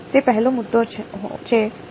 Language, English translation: Gujarati, That is the first point yeah